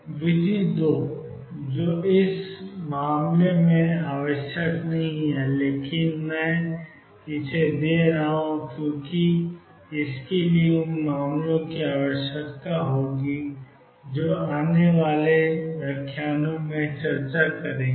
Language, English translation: Hindi, Method 2 which in this case is not will required, but I am giving it because it will require for cases that will discuss in the coming lectures